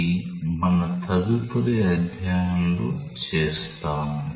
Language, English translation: Telugu, That, we will do in our next chapter